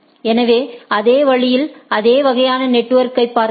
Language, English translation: Tamil, So, in the same way if we look at that same type of network